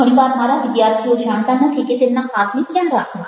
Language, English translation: Gujarati, very often i find my students not knowing where to put the hands